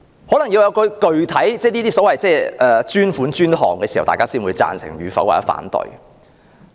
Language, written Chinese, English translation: Cantonese, 可能要有具體的所謂"專款專項"時，大家才會表示贊成或反對。, Members of the public may express agreement or disagreement only when the so - called dedicated funding is proposed for a designated project